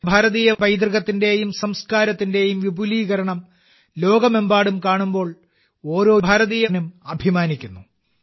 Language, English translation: Malayalam, Every Indian feels proud when such a spread of Indian heritage and culture is seen all over the world